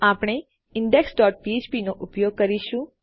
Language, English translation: Gujarati, We will use our index dot php